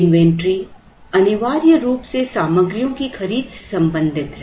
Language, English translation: Hindi, Inventory essentially deals with materials the procurement of materials